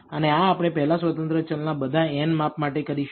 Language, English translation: Gujarati, And we do this for all n measurements of the first independent variable